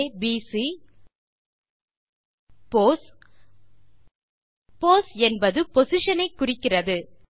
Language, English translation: Tamil, ABC pos as pos represents our position